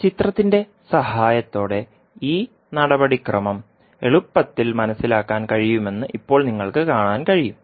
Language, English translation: Malayalam, Now you can see that this procedure can be easily understood with the help of the figure